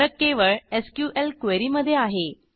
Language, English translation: Marathi, The only difference is in the SQL query